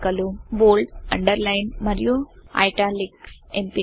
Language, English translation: Telugu, Bold, Underline and Italics options